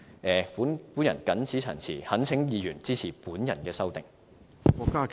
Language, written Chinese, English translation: Cantonese, 我謹此陳辭，懇請議員支持我的修正案。, With these remarks I implore Members to support my amendment